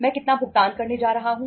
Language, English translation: Hindi, How much payments I am going to make